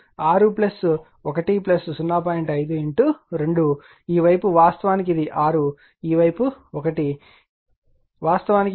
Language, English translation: Telugu, 5 into 2 of this side is actually this is 6, this side is 1, this side actually it is 0